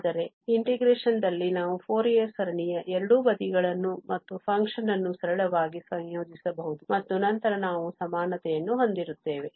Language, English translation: Kannada, But in integration, we can simply integrate both side of the Fourier series and the function as well and then we will have equality